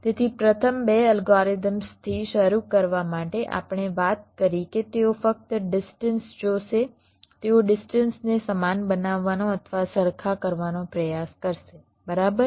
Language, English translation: Gujarati, so to start with the first two algorithms we talked about, they will be looking at only the distances